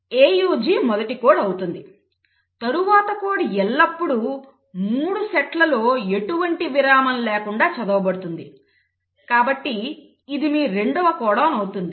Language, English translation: Telugu, So AUG becomes the first code, the next code is always read without any break in sets of 3